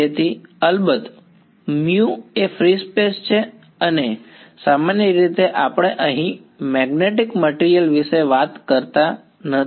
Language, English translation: Gujarati, So, of course, mu is that of free space and in general we are not talking about magnetic material over here